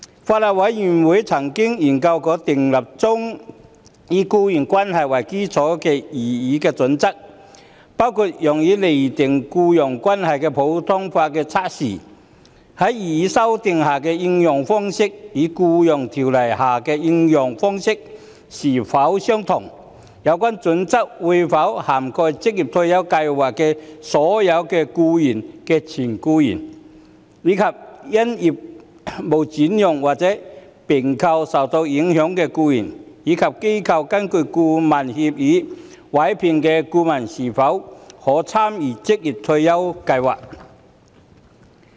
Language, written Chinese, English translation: Cantonese, 法案委員會曾研究修訂建議中以僱傭關係為基礎的擬議準則，包括用以釐定僱傭關係的普通法測試，在擬議修訂下的應用方式與在《僱傭條例》下的應用方式是否相同；有關準則會否涵蓋職業退休計劃的有關僱主的前僱員，以及因業務轉讓或併購而受影響的僱員；以及機構根據顧問協議委聘的顧問可否參與職業退休計劃。, The Bills Committee has examined the proposed employment - based criterion under the proposed amendments including whether the common law test for determining employment relationship under the proposed amendments would be applied in the same way as it is under the Employment Ordinance; whether the criterion would cover ex - employees of relevant employers of OR Schemes and employees who are affected by transfer of businesses or mergers and acquisitions; whether consultants engaged by organizations under consultancy agreements could participate in OR Schemes